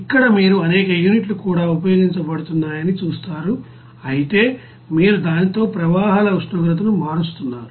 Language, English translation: Telugu, Here you will see that there are several units also are being used however you are changing the temperature of the processes streams with it is temperature